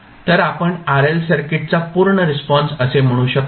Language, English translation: Marathi, So, what we can say that the complete response of RL circuit